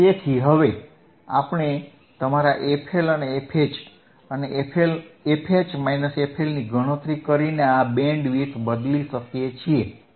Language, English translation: Gujarati, So, now we can change this Bandwidth by calculating your f LL and f H, it is very easyand f H minus f L